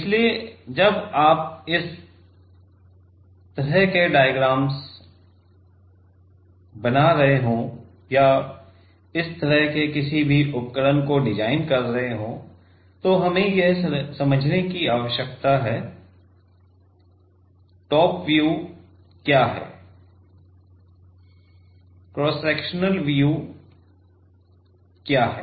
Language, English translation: Hindi, So, while you are making this kind of diagrams or designing any of this kind of devices, we need to understand; what is top view and what is cross sectional view